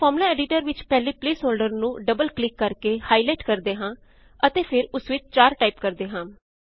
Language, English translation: Punjabi, Let us highlight the first placeholder in the Formula editor by double clicking it and then typing 4